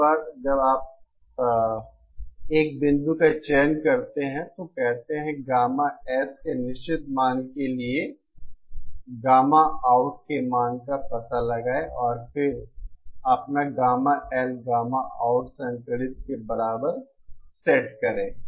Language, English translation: Hindi, Once you select a point, say that a certain value of gamma S, find out the value of gamma out and then set your gamma L is equal to gamma out conjugate